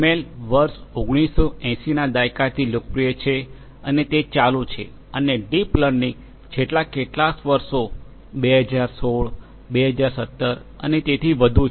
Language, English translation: Gujarati, ML has been popular since the 1980’s, it continues to be and deep learning, since last few years may be 2006, 2007 onwards and so on